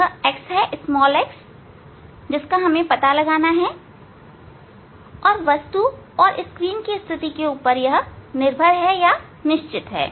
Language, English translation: Hindi, this x we have to find out and position of the screen and the object are fixed